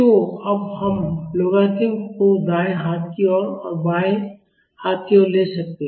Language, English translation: Hindi, So, now, we can take logarithm at right hand side and left hand side